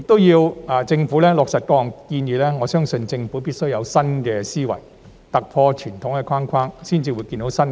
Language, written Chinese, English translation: Cantonese, 如果要落實各項建議，我相信政府必須有新思維，突破傳統框框，才能有新視野。, For the various recommendations to be implemented I believe that the Government must adopt a new mindset and break the conventional mould to foster a new vision